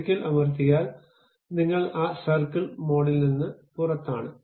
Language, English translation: Malayalam, Once you press, you are out of that circle mode